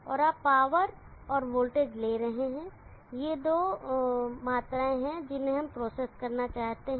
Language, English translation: Hindi, And you are taking the power and the voltage these two are the quantities that we like to process